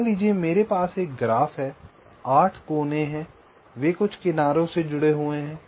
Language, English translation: Hindi, there are eight vertices, say they are connected by some edges